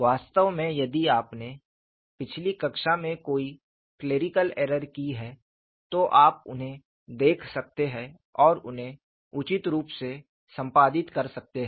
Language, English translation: Hindi, In fact, if you have done any clerical error in the last class, you could see these and edit them appropriately